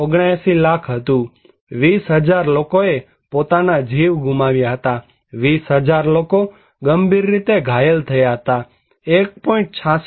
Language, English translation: Gujarati, 79 lakhs, human life lost was 20,000 around seriously injured 20,000, person injured 1